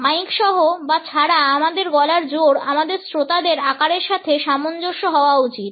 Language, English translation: Bengali, The loudness of our voice with or without a mike should be adjusted to the size of our audience